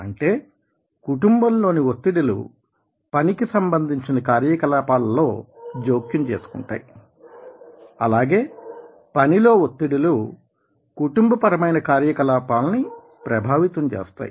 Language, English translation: Telugu, in some respect, that means the pressure from the family will interfere with work activities and the pressure from the work will influence the family activities